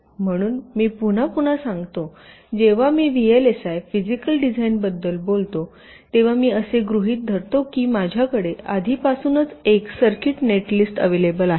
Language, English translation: Marathi, so again, i repeat, whenever i talk about vlsi physical design, i assume that i already have a circuit netlist available with me